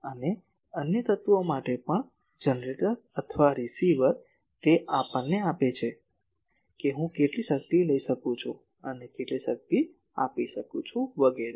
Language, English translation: Gujarati, And also for other elements the generator or the receiver, it gives us that how much power I can take, how much power I can give etc